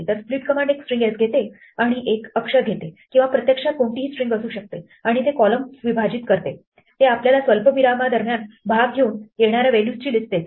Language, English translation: Marathi, So, split takes a string s and takes a character or actually could be any string and it splits the columns it gives you a list of values that come by taking the parts between the commas